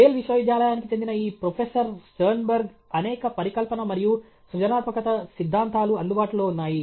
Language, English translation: Telugu, Sternberg of Yale University, numerous hypothesis and theories of creativity are available